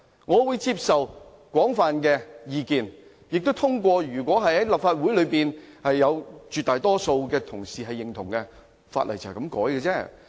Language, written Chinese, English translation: Cantonese, 我會接受廣泛的意見，如果立法會內有絕大多數議員支持，便可以修改法例。, I will accept any majority view meaning that if an overwhelming majority of Legislative Council Members support it then I will agree to such a legislative amendment